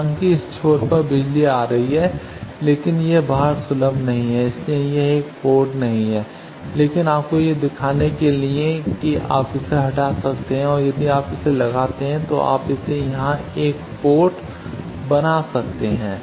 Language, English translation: Hindi, Though power is coming at this end, but it is not accessible outside that is why it is not a port, but to show you that there you can remove this and if you put this you can make it a port here